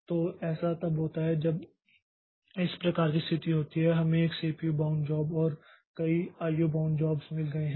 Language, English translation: Hindi, So, this happens when this type of situation occurs that we have got one CPU bound job and many I